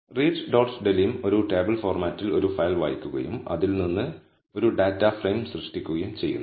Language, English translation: Malayalam, So, read dot delim reads a file in a table format and creates a data frame out of it